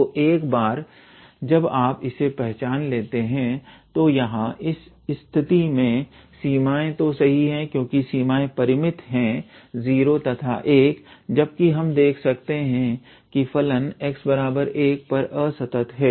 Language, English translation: Hindi, So, once you identify that, so here in this case the limits are all right because the limits are finite 0 to 1 however, we can see that the function is discontinuous at x equals to 1